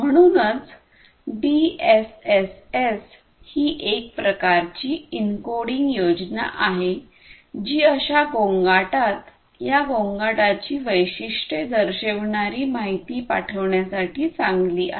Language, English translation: Marathi, So, DSSS kind of encoding scheme is good for sending information in these kind of channels exhibiting you know these noisy characteristics